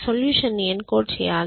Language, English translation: Telugu, Encoding the solution should be done